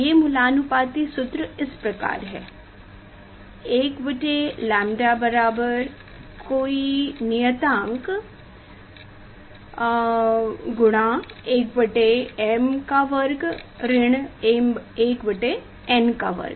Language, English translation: Hindi, that empirical formula was is like this 1 by lambda equal to some constant 1 by m square minus 1 by n square